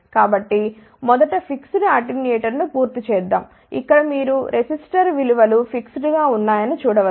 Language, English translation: Telugu, So, let me first finish the fixed attenuator, here you can see that the resistor values are fixed